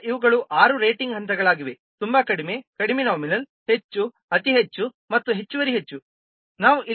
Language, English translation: Kannada, So these are the six rating levels like very low, low, nominal, high, very high and extra high